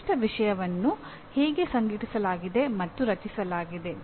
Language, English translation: Kannada, How a particular subject matter is organized and structured